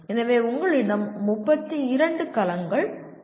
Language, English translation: Tamil, So you have 32 cells